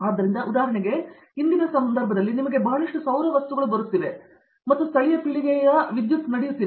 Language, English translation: Kannada, So, for instance in today's context you know, you have lot of solar things coming up and you have local generation of power happening